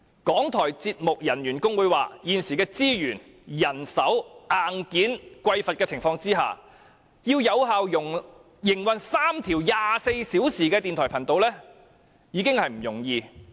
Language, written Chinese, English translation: Cantonese, 港台節目人員工會表示，在現時資源、人手和硬件匱乏的情況下，要有效營運3條24小時的電台頻道已經不容易。, The RTHK Programme Staff Union has said that given the lack of resources manpower and hardware it is already not easy to run three 24 - hour radio channels effectively